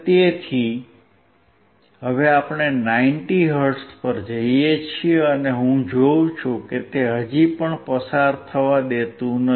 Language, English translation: Gujarati, So now, we go to 90 hertz, and I see it is still not allowing to pass